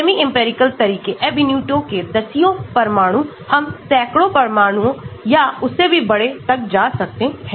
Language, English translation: Hindi, Semi empirical methods Ab initio tens of atoms, we can go to hundreds of atoms or even larger